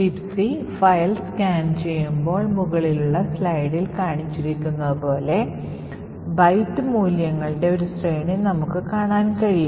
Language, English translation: Malayalam, Let us say while a scanning the libc file we found a sequence of byte values as follows